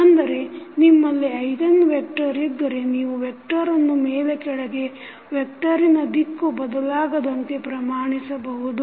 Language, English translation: Kannada, So, that means that if you have the eigenvector you just scale up and down the vector without changing the direction of that vector